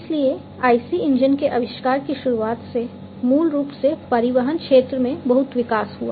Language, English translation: Hindi, So, the starting of the or the invention of IC engines basically led to lot of development in the transportation sector